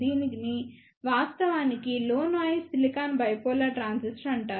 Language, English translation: Telugu, This is actually known as Low Noise Silicon Bipolar Transistor